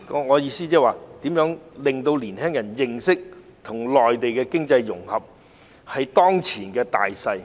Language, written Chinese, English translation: Cantonese, 我的意思是如何令年輕人認識到與內地的經濟融合，是當前的大勢。, What I mean is how to make young people realize that economic integration with the Mainland is the prevailing trend